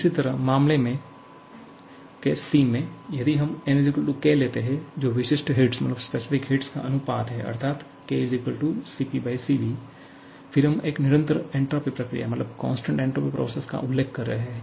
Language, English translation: Hindi, And therefore, the output is 0 similarly, if we put n = k, which is the ratio of specific heats Cp upon Cv, then, actually we are referring to a constant entropy process